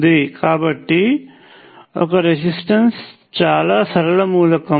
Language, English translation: Telugu, So, a resistor is very much a linear element